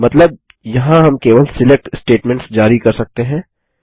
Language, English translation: Hindi, Meaning, we can issue only SELECT statements there